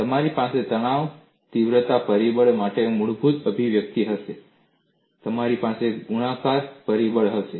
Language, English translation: Gujarati, You will have a basic expression for stress intensity factor, and you will have a multiplying factor